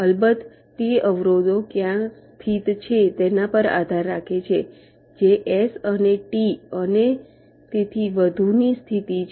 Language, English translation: Gujarati, it of course depends on where the obstructions are located, which are the positions of s and t and so on